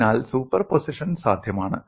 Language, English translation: Malayalam, So superposition is possible